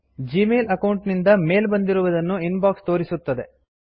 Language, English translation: Kannada, The Inbox shows mail received from the Gmail account